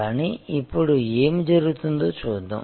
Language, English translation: Telugu, But, let us see what is happening now